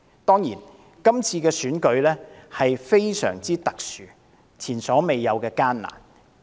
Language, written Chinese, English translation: Cantonese, 當然，今次選舉的情況相當特殊，也是前所未有的艱難。, Of course the circumstances surrounding this past election were rather unusual and unprecedentedly difficult